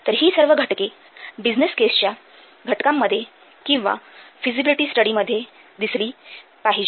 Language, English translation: Marathi, Now let's see what are the contents of a business case or feasibility study